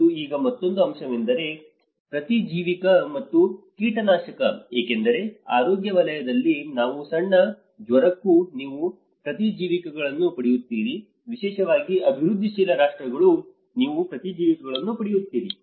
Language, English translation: Kannada, And now another aspect is antibiotisation and pesticidization because in the health sector even you go for a small fever, you get antibiotics especially in developing countries